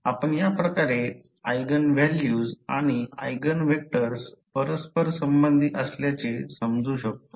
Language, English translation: Marathi, So, this is how we correlate the eigenvalues and the eigenvectors